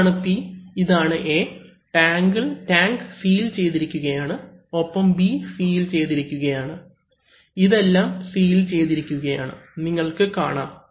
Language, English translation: Malayalam, Where this is P, this is A and this is tank is sealed, so the tank is sealed and B is also sealed, so these are sealed, as you can see